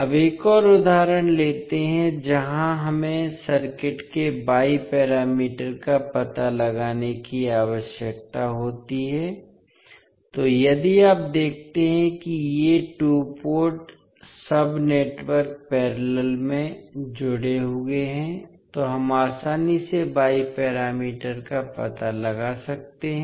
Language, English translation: Hindi, Now, let us take another example where we need to find out the Y parameters of the circuit, so if you see these two port sub networks are connected in parallel so we can easily find out the Y parameters